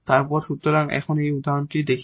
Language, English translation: Bengali, So, we see some example now